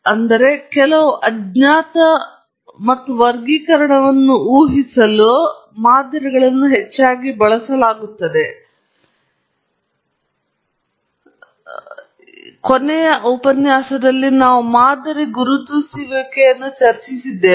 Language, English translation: Kannada, So, models are heavily used in prediction or inferring certain unknowns and also classification we discussed this last time pattern recognition